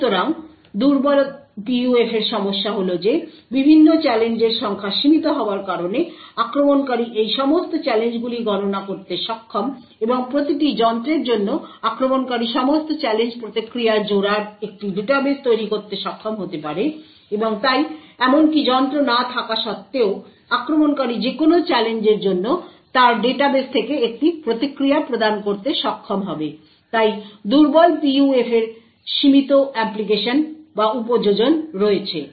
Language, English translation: Bengali, So the problem with the weak PUF is that because the number of different challenges are limited, the attacker may be able to enumerate all of these challenges and for each device the attacker could be able to create a database of all challenge response pairs and therefore without even having the device the attacker would be able to provide a response from his database for any given challenge therefore, weak PUFs have limited applications